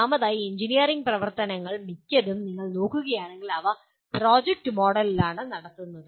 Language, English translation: Malayalam, First of all, most of the engineering activities if you look at, they are conducted in a project mode